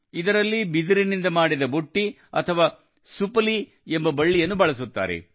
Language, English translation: Kannada, In this, a basket or supli made of bamboo is used